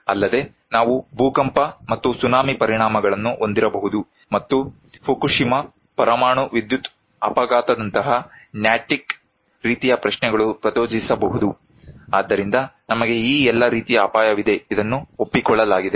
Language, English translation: Kannada, Also, we could have earthquake and tsunami impacts and triggered Natick, kind of questions like Fukushima, a nuclear power accident so, we have all this risk right, this is accepted